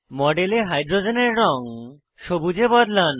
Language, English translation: Bengali, Change the color of all the hydrogens in the model to Green